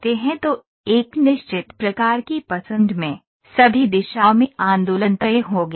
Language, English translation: Hindi, So, in fixed kind of a choice, in all directions the movement is fixed